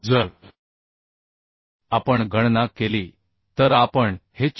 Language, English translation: Marathi, 25 So if we calculate we can find out this as 462